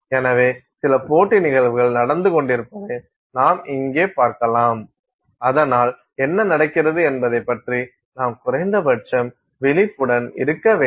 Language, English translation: Tamil, So, you will see here that there are some competing phenomena going on and so, we have to be at least conscious of what is going on